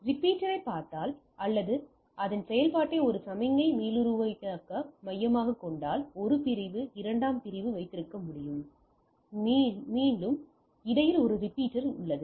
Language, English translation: Tamil, So, if we look at the repeater or hub its act as a signal regenerators, so I can have a 1 segment, 2 segment, and there is a repeater in between regenerates the things